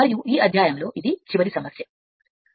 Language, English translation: Telugu, And this is your last problem for this last problem for this chapter